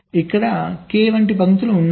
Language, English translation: Telugu, so there are k such lines